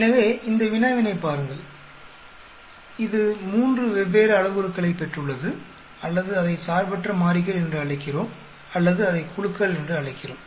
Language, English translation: Tamil, So, look at this problem, this has got three different parameters or we call it independent variables or we call it groups